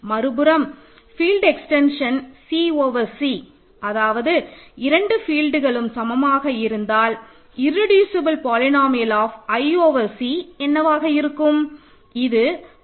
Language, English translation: Tamil, On the other hand if you take the field extension C over C in other words both the fields are same what is the irreducible polynomial of i over C, say this is where over the best field is an important part of the information